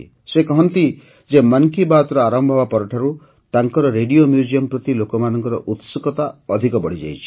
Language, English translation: Odia, He says that after 'Mann Ki Baat', people's curiosity about his Radio Museum has increased further